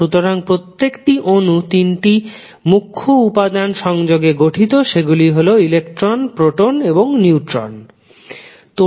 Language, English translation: Bengali, So, basically the the each atom will consist of 3 major elements that are electron, proton, and neutrons